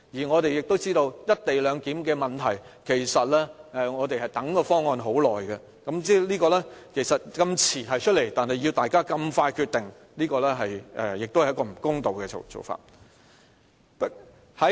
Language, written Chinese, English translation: Cantonese, 我們亦知道，"一地兩檢"的問題其實是，我們已等待很久，但政府這麼遲才提出方案，卻要大家如此快速地決定，這是一種不公道的做法。, As we all know the problem of the co - location proposal is that it is long overdue . The Government does not release its proposal until recently but then it requires us to decide in haste . This is utterly unfair